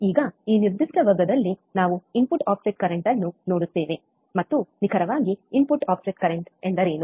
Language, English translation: Kannada, Now, in this particular class, we will see input offset current and what exactly input offset current means